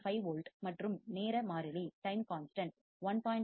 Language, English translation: Tamil, 5 volts and time constant is 1